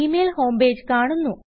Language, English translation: Malayalam, The Gmail home page appears